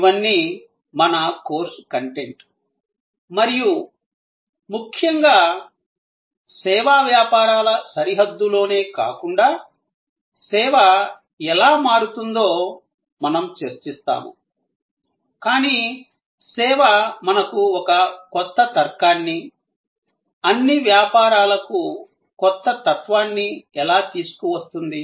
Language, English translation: Telugu, All these will be our course content and most importantly, we will discuss how service is changing not only within the boundary of the service businesses, but how service is bringing to us a new logic, a new philosophy for all businesses